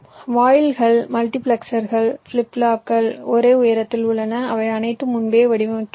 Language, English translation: Tamil, the gates, the multiplexers, the flip plops, they are of same heights and they are all pre designed